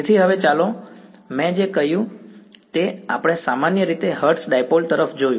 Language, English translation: Gujarati, So, now let us what I have done was we looked at the hertz dipole in general